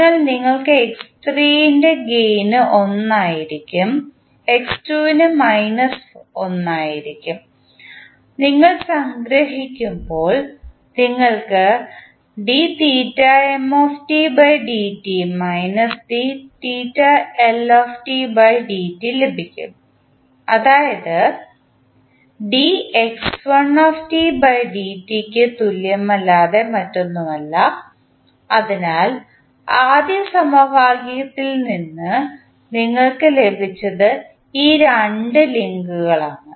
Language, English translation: Malayalam, So, x3 will be having gain of 1, x2 will be having gain of minus 1, when you sum up you get theta m dot minus theta L dot that is, nothing but equal to dx1 by dt, So, from first equation what you have got is these two links